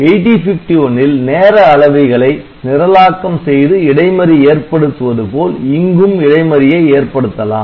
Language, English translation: Tamil, Just like in 8051 we have seen that the timers can be programmed so that the interrupt occurs it here